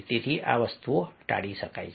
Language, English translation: Gujarati, so these things can be avoided